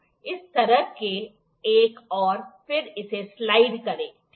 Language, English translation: Hindi, Another one like this, then slide it, ok